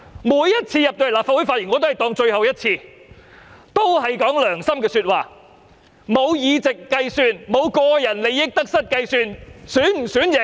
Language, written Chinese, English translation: Cantonese, 我每次在立法會發言也會當作是最後一次，一定會說良心話，完全沒有議席的計算，亦沒有個人利益得失的計算。, Every time I speak in the Legislative Council I regard it as my last speech and I will surely speak from the bottom of my heart . I have never factored in re - election or any personal gain or loss